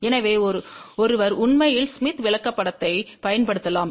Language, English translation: Tamil, So, one can actually use Smith Chart